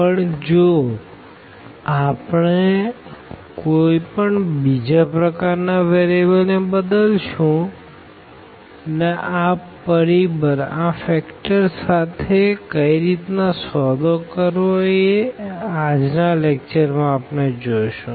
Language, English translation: Gujarati, But in general, if we have any other type of change of variables then what how to deal with this factor and we will see now in today’s lecture